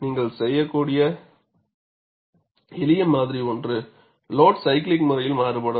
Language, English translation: Tamil, And one of the simplest modeling that you could do is, that the load varies cyclically